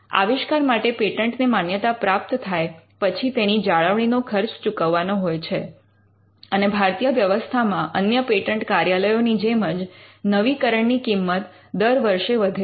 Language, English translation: Gujarati, After the patent is granted the inventions the maintenance fee has to be paid and the in the Indian system like most patent officers the renewal fee increases as the years go by